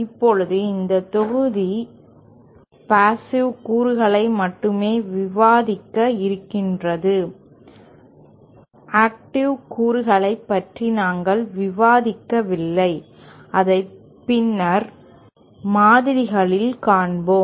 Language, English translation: Tamil, Now, this module deals only with passive components, we are not discussing the active components which we shall do it later models